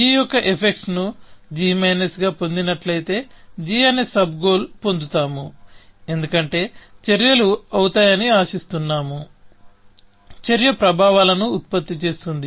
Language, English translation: Telugu, So, we would get a sub goal, g prime, if which is obtained as g minus the effects of a, because we expect that the actions will; actionable, produce the effects